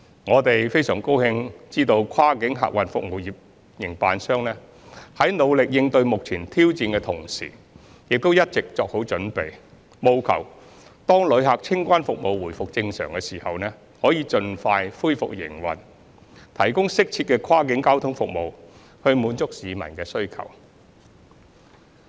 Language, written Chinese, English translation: Cantonese, 我們非常高興知悉跨境客運服務營辦商在努力應對目前挑戰的同時，亦一直作好準備，務求當旅客清關服務回復正常時，可以盡快恢復營運，提供適切的跨境交通服務，滿足市民的需求。, We are glad to learn that while enduring the challenging times at present the cross - boundary passenger transport operators have been fully prepared to ensure that they can promptly resume operation to provide appropriate cross - boundary passenger services for meeting public demand when normal operation of passenger clearance services resumes